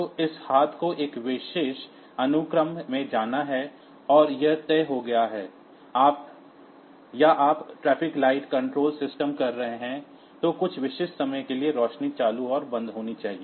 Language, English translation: Hindi, So, this hand has to move in a particular sequence and that delays are fixed, or you are doing say a traffic light controller system, then the lights should be turned on and off for some specific period of time